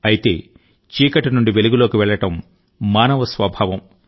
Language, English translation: Telugu, But moving from darkness toward light is a human trait